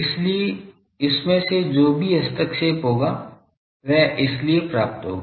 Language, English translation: Hindi, So, any interference that will come from that is why it will receive that also